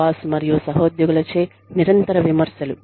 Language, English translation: Telugu, Constant criticism, by boss and co workers